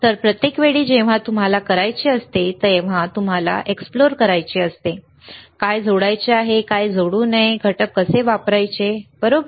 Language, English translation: Marathi, So, every time when you have to do you have to explore, what to add what not to add how to use the components, right